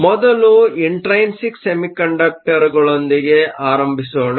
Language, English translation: Kannada, Let us start first with intrinsic semiconductors